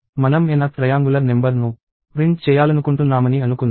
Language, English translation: Telugu, Let us say I want to print the n th triangular number